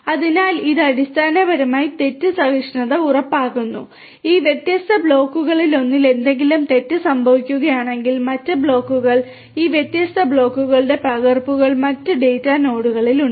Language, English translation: Malayalam, So, this basically ensures fault tolerant; if something goes wrong with one of these different blocks the other blocks the replicas of these different blocks are there in the other data nodes